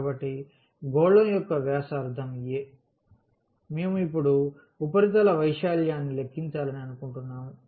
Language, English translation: Telugu, So, the radius of the a sphere is a; so, we want to compute the surface area now